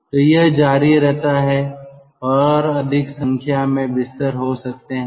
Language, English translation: Hindi, so this continues and there could be more number of beds